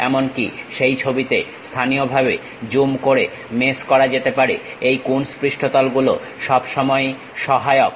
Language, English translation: Bengali, Even meshing, may be locally zooming into that picture, this Coons surfaces always be helpful